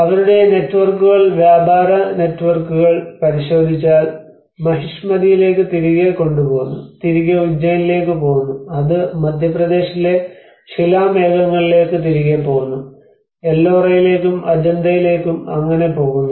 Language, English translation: Malayalam, \ \ \ If you look at their networks, the trade networks, it goes back to Mahishmati, it goes back to Ujjain, it goes back to Bhimbetka in Madhya Pradesh you know, so Ellora, Ajanta